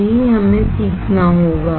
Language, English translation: Hindi, That is what, we have to learn